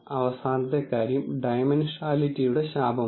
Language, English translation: Malayalam, And the last thing is curse of dimensionality